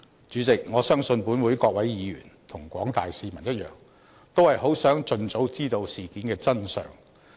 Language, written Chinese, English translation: Cantonese, 主席，我相信本會各位議員和廣大市民一樣，都是很想盡早知道事件的真相。, President I believe that both Members of this Council and the general public want to know the truth of the incident as soon as possible